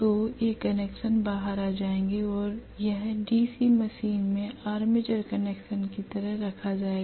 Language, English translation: Hindi, So these connections will come out and it will rest like armature connections in a DC motor